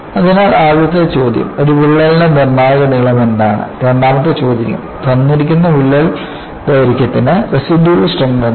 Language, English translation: Malayalam, So, the first question is, what is the critical length of a crack the second question is for a given crack length, what is the residual strength